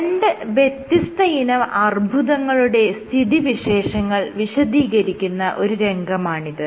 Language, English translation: Malayalam, So, this is the picture that you have two different kinds of cancer